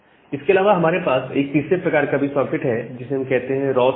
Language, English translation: Hindi, Apart from that we have a third kind of socket that is called raw socket